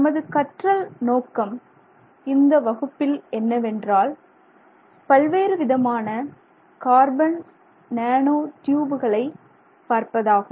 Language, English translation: Tamil, So, our learning objectives for this class are we will look briefly at different types of carbon nanotubes